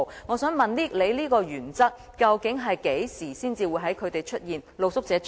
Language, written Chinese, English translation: Cantonese, 我想問局長，你所說的原則究竟何時才會出現？, I would like to ask the Secretary When will the principle he mentioned be put to work?